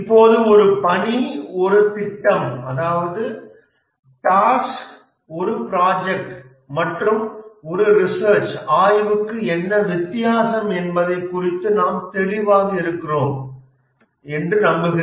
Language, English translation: Tamil, Now I hope that we are clear about what is the difference between a task, a project and an exploration